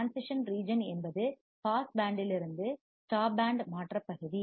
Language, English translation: Tamil, Transition region is from pass band to stop band transition region